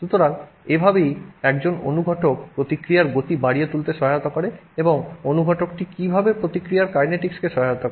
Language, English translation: Bengali, So, that is how a catalyst helps speed up the reaction and that is how the catalyst helps the kinetics of the reaction